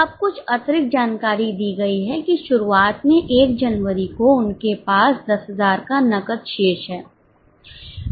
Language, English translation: Hindi, Now, there is some additional information that in the beginning, that is on 1st January, they have a cash balance of 10,000